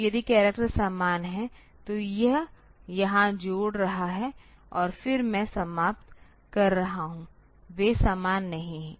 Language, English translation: Hindi, So, if the characters are same then it is a adding here and then I am taking end of; they are not same